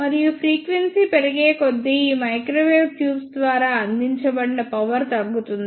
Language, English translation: Telugu, And as the frequency increases, the power provided by these microwave tubes decreases